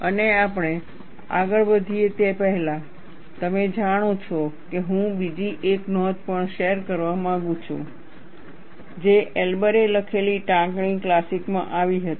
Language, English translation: Gujarati, And before we move further, and I would also like to share the another note, which came in the citation classic, which Elber wrote